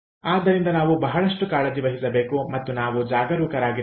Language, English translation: Kannada, so we have to take good care and we have to be careful